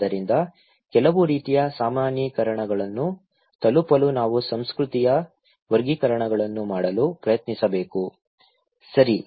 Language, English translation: Kannada, So, in order to reach to some kind of generalizations, we should try to make categorizations of culture, okay